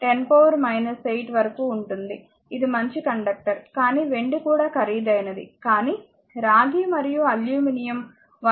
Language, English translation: Telugu, 64 into 10 to the power minus 8, it is a good conductor, but silver also expensive you cannot make it, but copper and aluminum 1